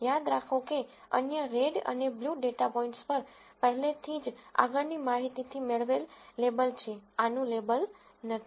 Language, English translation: Gujarati, Remember the other red and blue data points already have a label from prior knowledge, this does not have a label